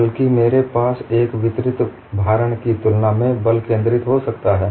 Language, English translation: Hindi, I may have concentrated force rather than a distributed loading